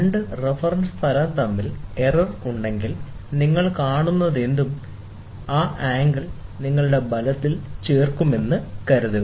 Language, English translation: Malayalam, Suppose, if there is error between the two reference planes, then that angle will also get added to your to your result, whatever you see